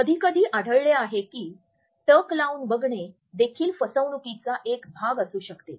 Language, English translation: Marathi, Sometimes we would find that a staring can also be a part of deception